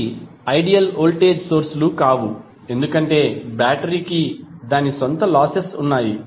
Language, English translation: Telugu, Although, those are not ideal voltage sources because battery has its own losses